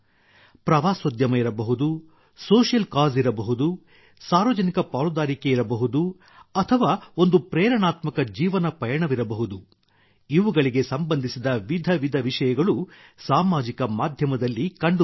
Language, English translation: Kannada, Be it tourism, social cause, public participation or an inspiring life journey, various types of content related to these are available on social media